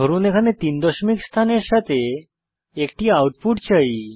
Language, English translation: Bengali, Suppose here I want an output with three decimal places